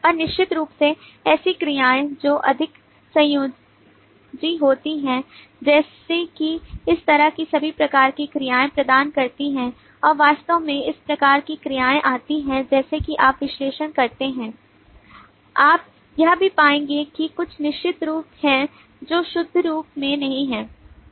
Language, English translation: Hindi, and certainly verbs which are kind of more connective like become and provide these kind of so all kinds of verbs actually come in as you do the analysis and you will also find that there are certain verb forms which are not in the pure form like this ones